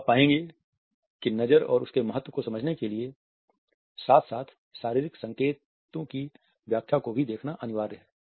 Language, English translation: Hindi, So, you would find that in order to understand the glance and its significance it is imperative for us to look at the interpretations of the accompanying body signals also